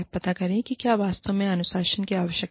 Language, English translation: Hindi, Find out, whether the discipline is, actually required